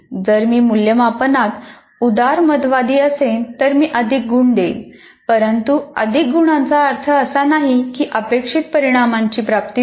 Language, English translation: Marathi, If I am strict or liberal with that, I am giving more marks, but more marks doesn't mean that I have attained my outcome